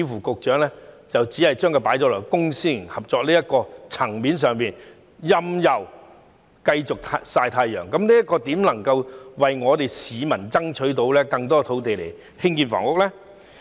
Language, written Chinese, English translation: Cantonese, 局長似乎只把焦點放在公私營合作的層面上，任由土地繼續"曬太陽"，這樣如何能為市民爭取更多土地以興建房屋呢？, It seems that the Secretary has only set his eyes on land parcels under public - private partnership while continuing to leave other sites lie idle under the sun . How can this help secure more land for housing construction for the people?